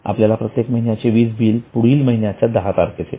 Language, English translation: Marathi, And every month we get the bill for electricity on the 10th of next month